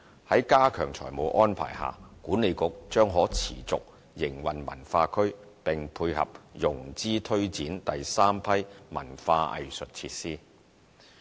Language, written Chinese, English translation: Cantonese, 在加強財務安排下，西九管理局將可持續營運文化區，並配合融資推展第三批文化藝術設施。, Under the enhanced financial arrangement the WKCD Authority shall be able to sustain the operation of WKCD and dovetail with the financing arrangement for the development of the third batch of arts and cultural facilities